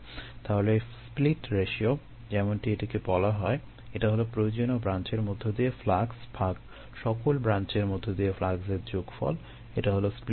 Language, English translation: Bengali, so the split ratio, as it is called this, is flux through the desired branch divided by the sum of fluxes through all branches